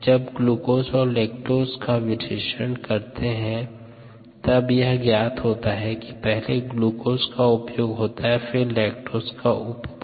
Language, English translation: Hindi, and when you do the analysis of glucose and lactose, one finds that glucose gets consumed here first and then lactose gets consumed